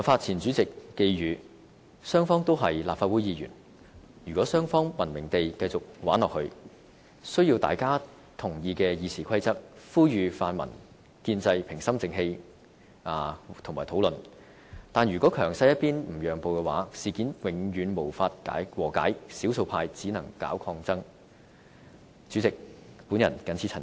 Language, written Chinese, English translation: Cantonese, 前主席黃宏發寄語"雙方都是立法會議員，如果雙方'文明地'繼續'玩下去'，需要大家都同意的《議事規則》，呼籲泛民建制心平氣和討論，但如果強勢一邊不讓步的話，事件永遠無法和解，少數派只能搞抗爭。, Andrew WONG also former President tried to convey this message If Members of the two camps wish to continue with the game in a civilized manner they need to work under a RoP which is agreeable to both parties . I call for Members of the pan - democratic and pro - establishment camps to calm down and negotiate for a solution . If those get the upper hand refuse to give in a resolution is impossible and the minority will then resort to resistance